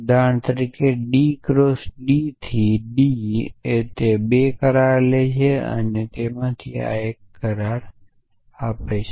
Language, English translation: Gujarati, So, plus for example, is D cross D to D essentially it takes 2 agreements and it gives one agreements